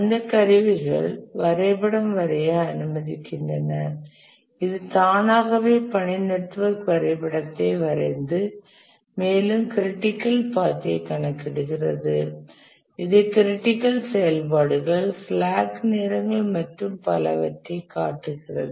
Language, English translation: Tamil, Those tools allow to draw the diagram, the task network diagram and also it automatically computes the critical path, it shows the critical activities, the slack times and so on